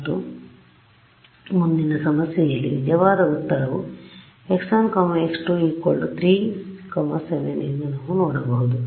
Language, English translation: Kannada, And we can see that in the next problem on the right whether true answer is x 1 x 2 is equal to 3 7 right